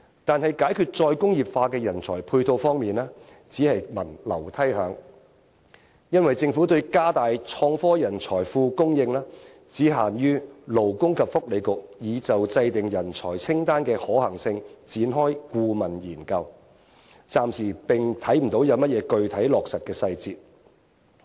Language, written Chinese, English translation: Cantonese, 但是，在解決再工業化的人才配套方面，卻只聞樓梯響，因為政府對加大創科人才庫供應，只限於勞工及福利局已就制訂人才清單的可行性，展開顧問研究，暫時看不到有甚麼具體落實的細節。, However nothing concrete has taken place when it comes to resolving the problem of corresponding manpower resources for re - industrialization . It is because the Government has offered no specific detail of expanding the pool of talent for innovation and technology apart from the consultancy study on the feasibility of drawing up a talent list commenced by the Labour and Welfare Bureau